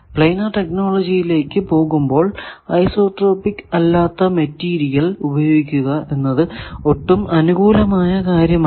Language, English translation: Malayalam, So, for going to planar technology if you have non isotropic material like ferrite it is not amenable to planar technology